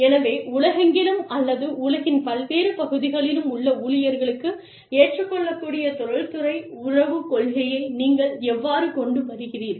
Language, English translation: Tamil, So, how do you come up with, the industrial relations policy, that is acceptable to employees, all over the world, or in different parts of the world